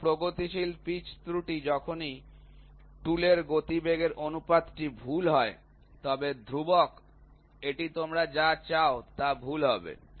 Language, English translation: Bengali, So, progressive pitch error this error occurs, whenever the tool work velocity ratio is incorrect, but constant it will be incorrect what do you want, but it will be constant